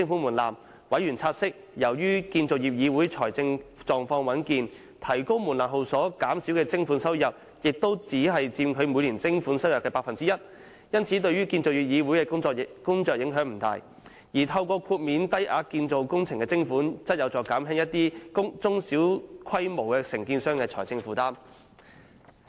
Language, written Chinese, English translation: Cantonese, 委員察悉，由於建造業議會財政狀況穩健，而提高門檻後所減少的徵款收入亦只佔其每年徵款收入約 1%， 因此對於建造業議會的工作影響不大；透過豁免低額建造工程的徵款，則有助減輕一些中小規模承建商的財政負擔。, They have noted that the rise in levy thresholds will have little impact on the work of the Construction Industry Council CIC as it is in a healthy financial position and the consequent reduction in levy income will only account for about 1 % of its annual levy income . It is also learnt that the exclusion of low - value construction operations from the levy net will help alleviate the financial burden of small and medium contractors